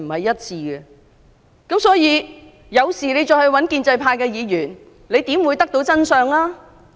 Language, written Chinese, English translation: Cantonese, 因此，如果市民有事要向建制派議員求助，又怎會得知真相？, Hence when something happens how are those people who seek help from the pro - establishment Members going to find out the truth?